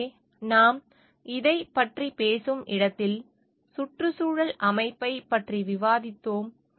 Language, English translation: Tamil, So, where we are talking of this in terms of like, we have discussed about the ecosystem